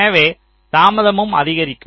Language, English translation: Tamil, so the delay has become half